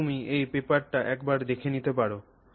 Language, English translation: Bengali, So, you can take a look at this paper